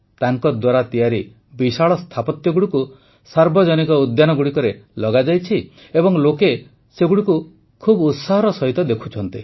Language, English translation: Odia, These huge sculptures made by him have been installed in public parks and people watch these with great enthusiasm